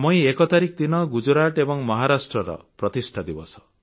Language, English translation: Odia, 1st May is the foundation day of the states of Gujarat and Maharashtra